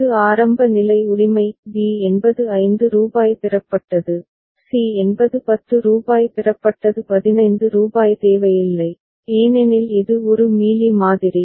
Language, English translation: Tamil, This is the initial state right; b is rupees 5 has been received, c is rupees 10 has been received rupees 15 is not required because it is a Mealy model